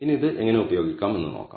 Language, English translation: Malayalam, Now, what how we can use this we will see